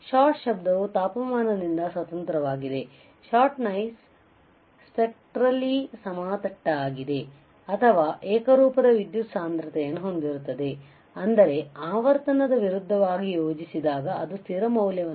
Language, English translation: Kannada, Shot noise is independent of temperature shot noise is spectrally flat or has a uniform power density meaning that when plotted versus frequency it has a constant value